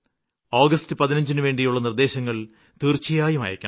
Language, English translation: Malayalam, Please do send your suggestions for 15th August